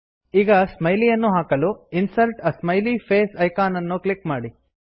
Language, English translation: Kannada, Lets insert a smiley now.Click on the Insert a Smiley face icon